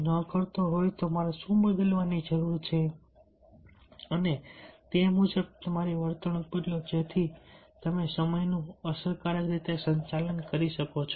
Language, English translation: Gujarati, if it is not, then what i need to change and accordingly, you change your behavior so that you effectively manage the time